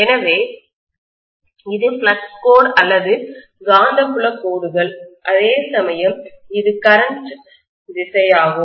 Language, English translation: Tamil, So this is the flux line or magnetic field lines whereas this is the current direction